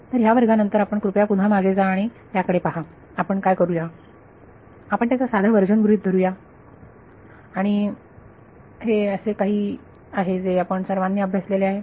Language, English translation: Marathi, So, after this class please go back and have a look at it what we will do is we will assume a simple version of that and it is something which you will all have studied